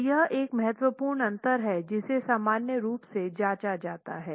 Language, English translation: Hindi, So this is one important difference that is normally checked